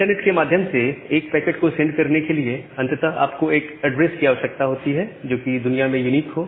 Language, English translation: Hindi, Now to send that packet over the internet, ultimately you require an addresses which is unique in the globe